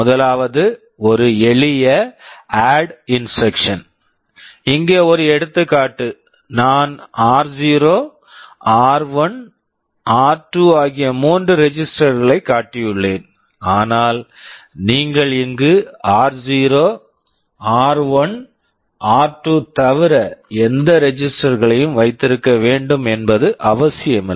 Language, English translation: Tamil, First is a simple add instruction, well here as an example I have shown three registers r 0, r1, r2, but you can have any registers here not necessarily only r0, r1, r2